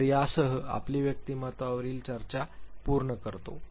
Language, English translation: Marathi, So, with this we complete our discussion on personality